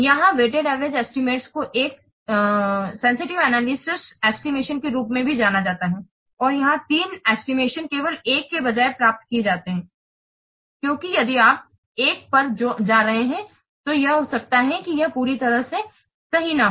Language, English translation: Hindi, Here weighted average estimation is also known as a sensitive analysis estimation and here three estimates are obtained rather than one just because if you are going one it may be what it may not be fully accurate